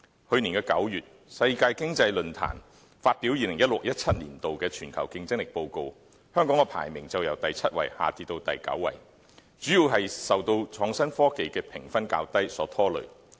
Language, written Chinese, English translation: Cantonese, 去年9月，世界經濟論壇發表 2016-2017 年度《全球競爭力報告》，香港的排名則由第七位下跌至第九位，主要是受創新科技的評分較低所拖累。, In the Global Competitiveness Report 2016 - 2017 published by the World Economic Forum in September last year Hong Kongs ranking dropped from the seventh to the ninth place mainly due to a lower rating in innovation and technology